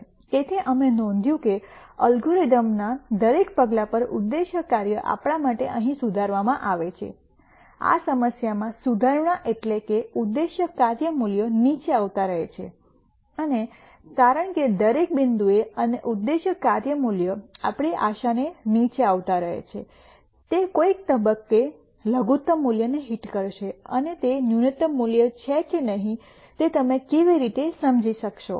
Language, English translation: Gujarati, So, we notice that at every step of the algorithm the objective function keeps improving for us here in this problem improvement means the objective function value keeps coming down and since at every point and the objective function value keeps coming down our hope is at some point it will hit the minimum value